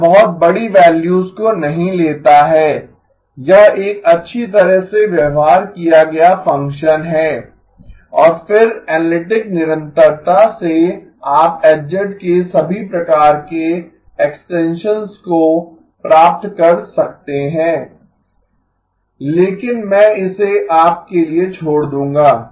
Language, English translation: Hindi, It does not take very large values, it is a well behaved function and then by analytic continuation you can get all kinds of extensions of H of z but I will leave that to you